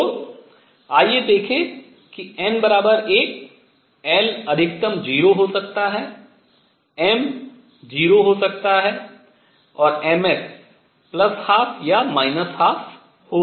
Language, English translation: Hindi, So, let us see n equals 1, l maximum could be 0, m could be 0 and m s could be plus a half or minus a half